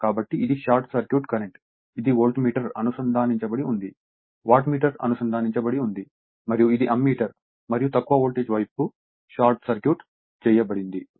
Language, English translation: Telugu, So, this is as this is my short circuit current, this is the Voltmeter is connected, Wattmeter is connected and this is Ammeter and this is the your what you call thatlow voltage value short circuit, it is shorted right